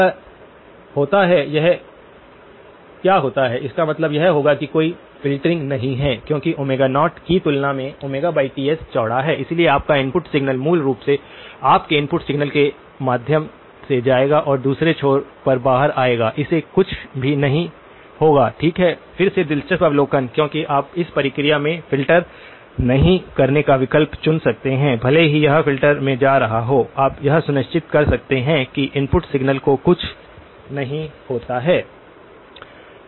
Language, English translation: Hindi, If what happens; this happens what; there is this would mean that there is no filtering why because the Omega by Ts is wider than Omega naught, your input signal so basically, your input signal will go through and come out at the other end with nothing happening to it okay, again interesting observation because you can choose to not filter in the process so, even though it is going into a filter you can make sure that nothing happens to the input signal